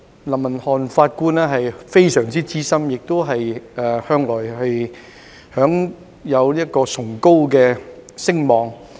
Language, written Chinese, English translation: Cantonese, 林文瀚法官非常資深，並且向來享有崇高聲望。, The Honourable Mr Justice Johnson LAM is a very experienced judge who has always enjoyed an eminent reputation